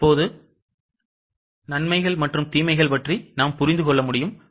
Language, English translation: Tamil, Now we can understand the advantages and disadvantages